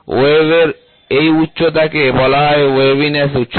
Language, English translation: Bengali, The height of this wave is called as waviness height